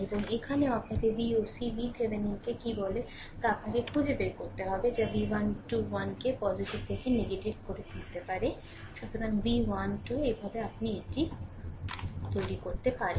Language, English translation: Bengali, And here also, you have to find out you what you call V oc V Thevenin that also we can make V 1 2 1 positive to negative; so, also V 1 2